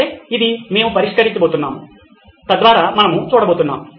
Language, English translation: Telugu, Okay, which is what we are going to solve, so that’s how we look at